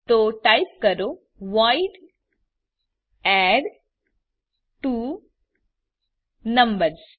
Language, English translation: Gujarati, So type void addTwoNumbers